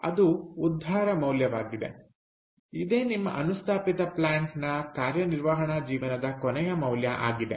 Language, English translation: Kannada, salvage value is what is the value of your plant, of your installation, at the end of its operating life